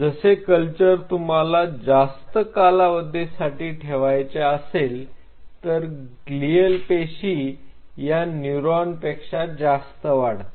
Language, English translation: Marathi, And if you allow the culture for a prolonged period of time then the glial cells will out number the neurons